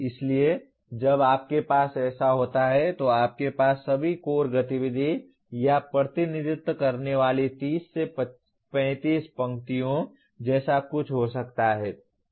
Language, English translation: Hindi, So when you have like this, you may have something like 30 to 35 rows representing all the core activities